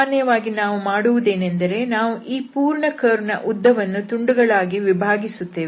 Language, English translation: Kannada, So, what we do usually, we divide this whole arc length into pieces